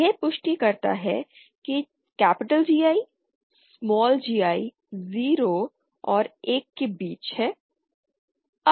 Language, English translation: Hindi, This intern verifies that GI, small gi is between 0 and 1